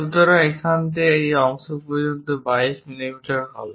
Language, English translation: Bengali, So, from one end it is shown 22 mm this one